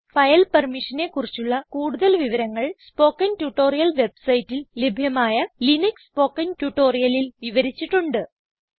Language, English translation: Malayalam, More information on file permissions is available in the Linux spoken tutorials available on the spoken tutorial website